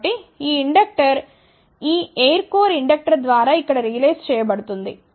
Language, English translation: Telugu, So, this inductor is realized by this air core inductor over here